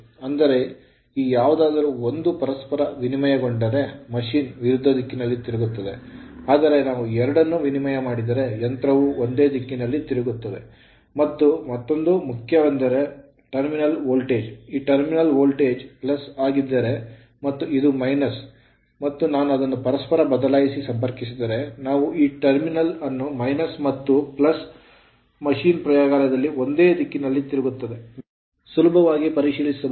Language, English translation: Kannada, So, in; that means, if you either of this if you interchange machine will rotate in opposite direction, but if you change both then machine will rotate rotate your, what you call in the opposite direction as you saw, if you both you change then machine will rotate in the same direction and another thing is the terminal voltage, if this terminal voltage suppose, this is plus, this is minus, if you interchange this terminal suppose, if I connected to minus and if I connected to plus machine will rotate in the same direction right in your laboratory, you can verify easily right